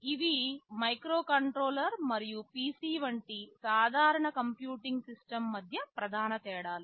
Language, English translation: Telugu, These are broadly the main differences between a microcontroller and a normal computing system like the PC